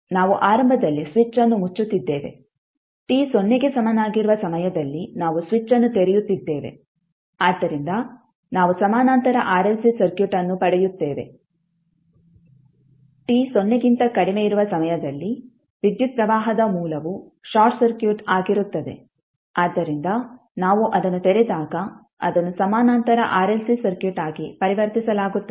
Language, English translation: Kannada, We are initially keeping the switch closed at time t is equal to 0 we are opening up the switch so that we get the parallel RLC circuit at time t less then 0 the current source will be short circuit so when we open it then it will be converted into Parallel RLC Circuit